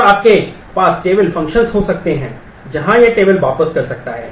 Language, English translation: Hindi, And you can have table functions where it can return table